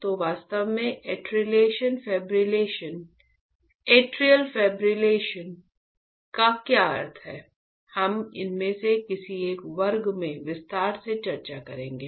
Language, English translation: Hindi, So, what exactly atrial fibrillation means, we will discuss in detail in one of the one of the classes